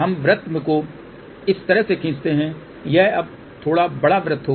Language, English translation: Hindi, We draw the circle like this it will be little bigger circle now